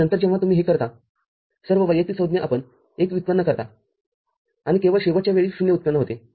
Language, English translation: Marathi, And then when you do it all individual terms you generate 1, and only the last time will generate 0